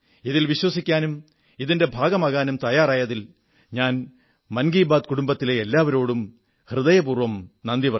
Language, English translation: Malayalam, I express my gratitude to the entire family of 'Mann Ki Baat' for being a part of it & trusting it wholeheartedly